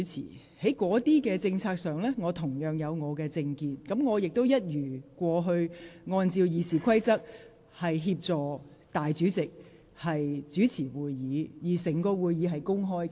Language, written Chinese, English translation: Cantonese, 對於該等政策，我有自己的政見，但我亦一如既往按照《議事規則》以立法會代理主席身份主持會議，而會議整個過程公開進行。, I may have my own political views on those policies but I have as always followed the Rules of Procedure in presiding over those meetings in my capacity as Deputy President of the Legislative Council and the whole process of the meetings are open